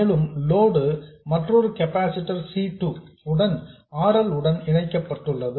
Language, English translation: Tamil, And the load is connected through another capacitor C2 to RL